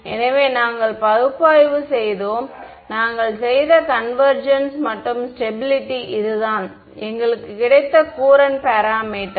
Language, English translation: Tamil, So, we looked at we did analysis, convergence we did and stability this is where we got our Courant parameter right